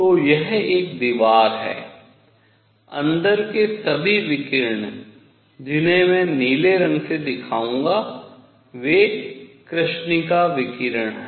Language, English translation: Hindi, So, this is a wall, all the radiation inside which I will show by blue is black body radiation